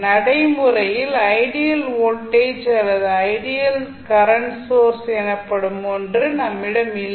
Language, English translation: Tamil, Practically, we do not have something called ideal voltage or ideal current source